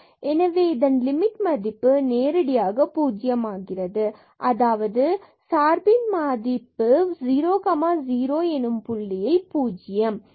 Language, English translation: Tamil, So, we will get this limit as 0 directly; which is the function value at 0 0 point